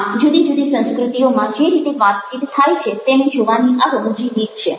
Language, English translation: Gujarati, so this a humorous way of looking at the way that the conversation also take place in different cultures